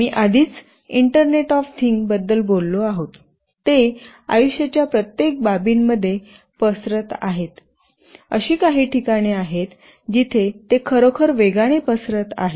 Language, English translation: Marathi, We have already talked about internet of things, they are spreading like wildfire across every aspect of a life, there are places where they are really spreading very fast